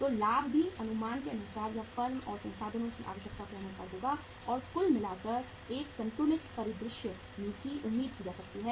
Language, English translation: Hindi, So the profits will also be as per the estimates or as per the requirements of the firm and means overall a balanced scenario can be expected